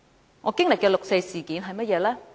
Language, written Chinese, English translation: Cantonese, 那我經歷的六四事件是怎樣的呢？, What is my experience in the 4 June incident?